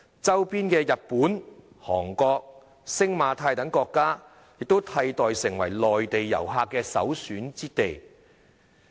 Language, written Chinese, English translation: Cantonese, 周邊的日本、韓國、星馬泰等國家替代香港成為內地遊客的首選之地。, Surrounding countries such as Japan Korea Singapore Malaysia and Thailand have replaced Hong Kong as the destinations of choice for Mainland visitors